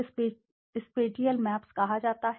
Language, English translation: Hindi, These are called spatial maps